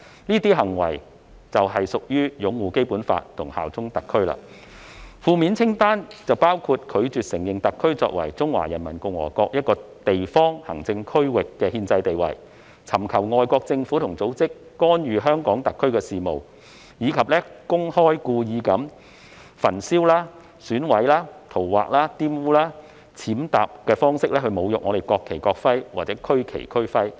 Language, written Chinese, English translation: Cantonese, 這些行為就是擁護《基本法》和效忠特區。負面清單包括"拒絕承認香港特別行政區作為中華人民共和國一個地方行政區域的憲制地位"、"尋求外國政府或組織干預香港特別行政區的事務"，以及"公開及故意以焚燒、毀損、塗劃、玷污、踐踏等方式侮辱國旗或國徽或區旗或區徽"。, The negative list includes among others refuses to recognize the constitutional status of the Hong Kong Special Administrative Region as a local administrative region of the Peoples Republic of China solicits interference by foreign governments or organizations in the affairs of the Hong Kong Special Administrative Region desecrates the national flag or national emblem or regional flag or regional emblem by publicly and wilfully burning mutilating scrawling on defiling or trampling on it